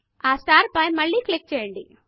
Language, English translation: Telugu, Click on the star again